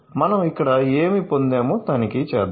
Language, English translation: Telugu, So, let me check what we have got here